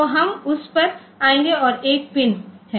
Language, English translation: Hindi, So, we will come to that and there is a pin